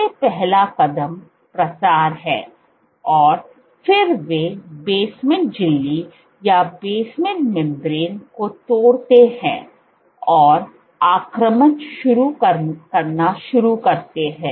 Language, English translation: Hindi, First of all, proliferate, so first step is proliferation and then they breach the basement membrane and start invading